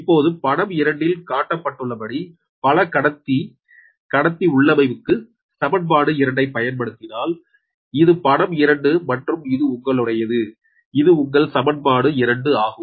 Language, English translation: Tamil, now, if you apply equation two to the multi conductor configuration as shown in figure two, this is figure two and this is your, this is the, your equation two, right